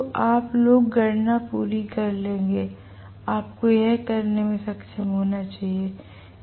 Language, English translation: Hindi, So, you guys will complete the calculation, you should be able to do it